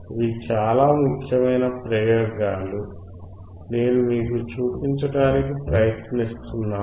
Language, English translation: Telugu, These are very important experiments that I am trying to show it to you